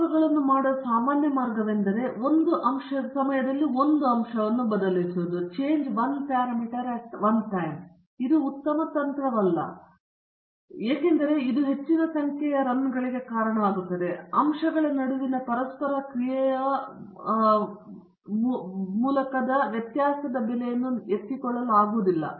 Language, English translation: Kannada, The normal way of doing the experiments is to vary one factor at a time; this is not a very good strategy, because it leads to more number of runs and also it has not pick up the variability cost by interaction between the factors okay